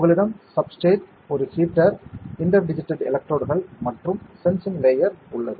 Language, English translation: Tamil, You have a substrate, a heater, inter digitated electrodes and sensing layer